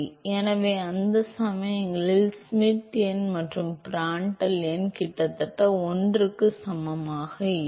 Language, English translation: Tamil, So, in those cases the Schmidt number and Prandtl number are almost equal to 1